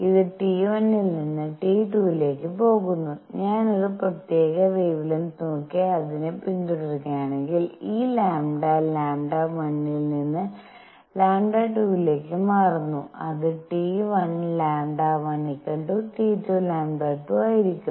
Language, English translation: Malayalam, It goes from T 1 to T 2, if I look at a particular wavelength and keep following it, this lambda changes from lambda 1 to lambda 2; it will be such that T 1 lambda 1 is equal to T 2 lambda 2